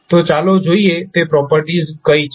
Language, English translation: Gujarati, So, let us see what are those properties